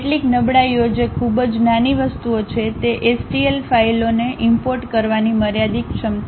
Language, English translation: Gujarati, Some of the demerits which are very minor things are a limited ability to import STL files